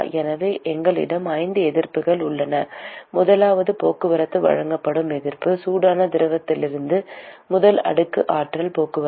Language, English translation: Tamil, So, we have 5 resistances, the first one being the resistance offered for transport from a transport of energy from the hot fluid to the first slab